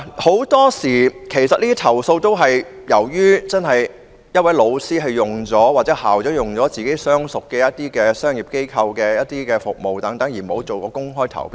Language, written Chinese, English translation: Cantonese, 很多時候，投訴都是源於一位老師或校長用了自己相熟的商業機構提供服務，而沒有採取公開投標。, A very common complaint is that a teacher or a school principal has selected a business organization with which he is acquainted to provide the service required instead of conducting an open tender